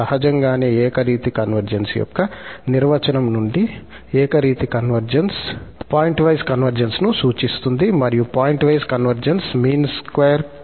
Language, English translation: Telugu, Naturally, from the definition of the uniform convergence is clear that the uniform convergence implies pointwise convergence and pointwise convergence implies the convergence in the mean square sense